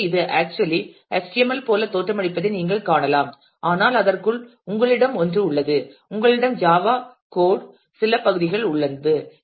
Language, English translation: Tamil, So, you can see that this actually looks like HTML, but inside that you have a, you have some part of a Java code